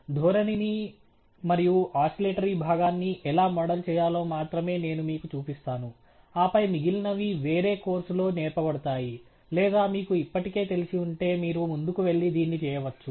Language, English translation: Telugu, I will only show you how to model the trend and the oscillatory part, and then the rest is reserved for some other course or may be if you are already familiar with it, you can go ahead and do it